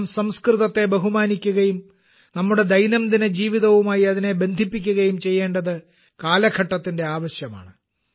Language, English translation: Malayalam, The demand of today’s times is that we should respect Sanskrit and also connect it with our daily life